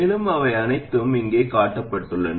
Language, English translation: Tamil, And they are all shown here